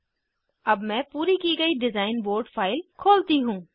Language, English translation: Hindi, Let me open the completed design board file